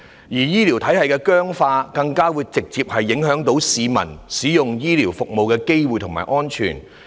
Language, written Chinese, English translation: Cantonese, 醫療體系的僵化，更直接影響市民使用醫療服務的機會和安全性。, The rigidity of the existing healthcare system has had direct impacts on the publics access to public healthcare services and their safety in using those services